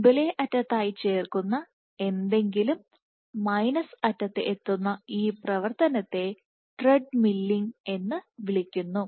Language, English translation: Malayalam, So, this activity this thing in which something is added as the frontend and gets reached from the minus end this is called treadmilling